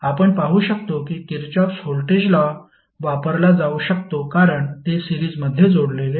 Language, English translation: Marathi, You can apply Kirchhoff’s voltage law, because it is, these are connected in loop